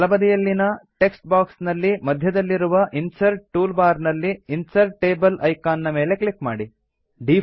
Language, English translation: Kannada, In the right side text box click on the icon Insert Table from the Insert toolbar in the centre